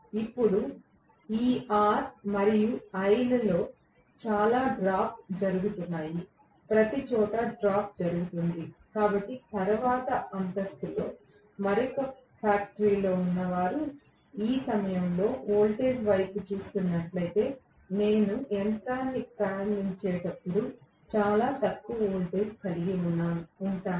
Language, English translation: Telugu, This is a large current, then I am going to have lot of drop taking place all over in all this R and l, everywhere there will be drop taking place, so a next floor neighbour who has another factory probably, if they are looking at the voltage at this point, I am going to have really much lower voltage when I am starting the machine